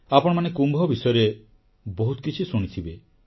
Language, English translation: Odia, You must have heard a lot about Kumbh